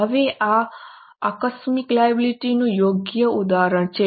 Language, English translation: Gujarati, Now, this is a proper example of contingent liability